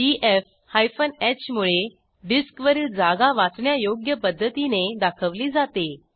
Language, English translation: Marathi, df h displays disk space usage in human readable form